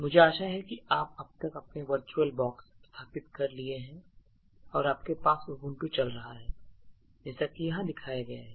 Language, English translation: Hindi, So, I hope by now that you have actually install the virtual box and you actually have this Ubuntu running as shown over here